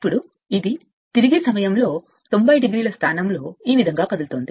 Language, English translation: Telugu, Now when it is coming suppose, it rotates 90 degree at that time this position suppose it is moving like this